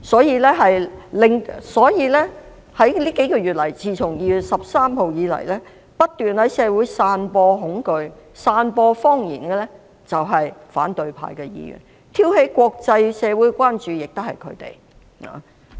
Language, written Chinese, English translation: Cantonese, 因此，自2月13日起這數個月以來，不斷在社會散播恐懼和謊言的是反對派議員，挑起國際社會關注也是他們。, Members of the opposition camp are the ones who have been spreading fears and lies in society and instigating international attention